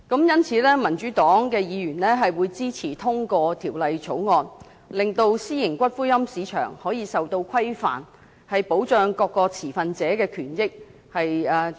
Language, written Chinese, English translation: Cantonese, 因此，民主黨議員會支持通過《條例草案》，令私營龕場的市場受到規範，重新納入正軌，保障各個持份者的權益。, Therefore Members of the Democratic Party will support the passage of the Bill to regulate the market of private columbaria and bring their operation back onto the right track for the protection of interests of all stakeholders